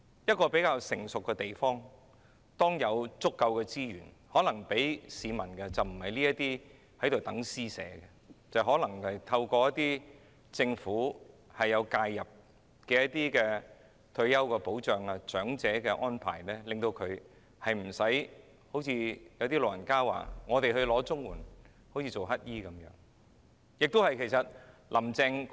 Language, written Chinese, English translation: Cantonese, 一個發展得比較成熟的地方，在有足夠資源時並不會向市民作出這種施捨，而可能會透過政府介入的退休保障及安老措施為市民作出安排，令長者不會產生領綜援有如乞食的感覺。, Instead of providing financial assistance in this way like charity work the government of any place with relatively mature development will probably intervene and make the necessary arrangements for its people through various retirement protection and elderly care measures when adequate resources are available so that elderly people will not feel like beggars when receiving CSSA